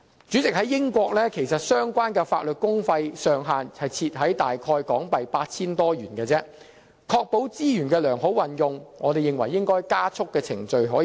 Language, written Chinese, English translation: Cantonese, 主席，英國相關的法律公費上限設在大約港幣 8,000 元，為確保資源得到良好運用，我們認為應加速處理程序。, President the relevant cap on publicly - funded legal assistance in the United Kingdom is set at around HK8,000 . To ensure proper use of resources we should speed up the screening procedures